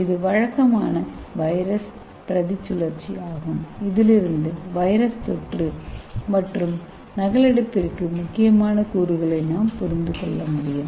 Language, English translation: Tamil, so this is a typical viral replication cycle so from this we can understand like a which are the components important for the viral infection and replication